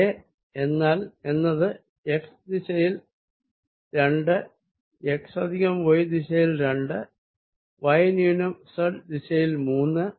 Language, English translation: Malayalam, a is nothing but two x in x direction plus two y in y direction, minus three z in z direction